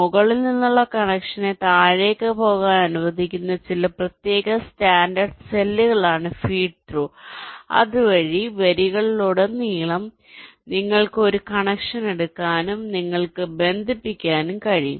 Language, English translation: Malayalam, feed through are some special standard cells which allow a connection from top to go to the bottom so that across rows you can take a connection and you can connect